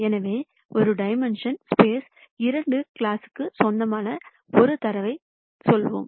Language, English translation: Tamil, So, let us assume that I have, let us say in two dimensional space a data belonging to two classes